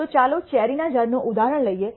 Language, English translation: Gujarati, So, let us take this example of the cherry trees